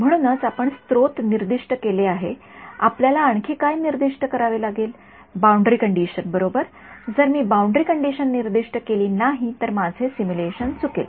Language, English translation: Marathi, So, we have we have specified the source what else do we need to specify boundary condition right, if I do not specify boundary condition my simulation will be wrong